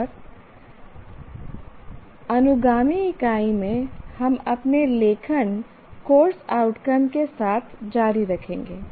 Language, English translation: Hindi, And in the following unit, we will continue with our writing course outcomes